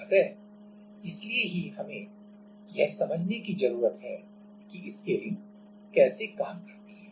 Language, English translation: Hindi, So, for that we need to understand that the how the scaling works